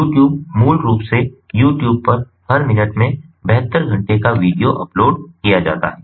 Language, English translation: Hindi, you tube you know youtube basically in every minute you tube, in the youtube, seven, two hours of video is uploaded